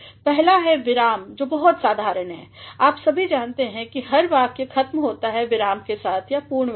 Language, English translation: Hindi, ) which is very common, you all know that every sentence ends with a period or a full stop